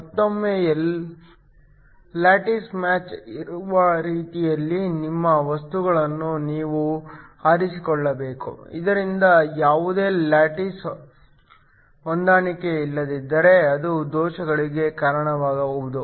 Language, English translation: Kannada, Again, you have to choose your materials in such a way that there is a lattice match, so that if there is any lattice mismatch that can also lead to defects